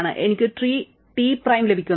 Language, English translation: Malayalam, I get tree T prime